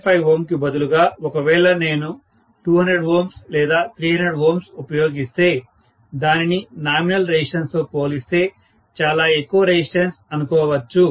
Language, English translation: Telugu, 5 ohm if I use maybe 200 ohms or 300 ohms, I would call that is a very high resistance compared to the nominal resistance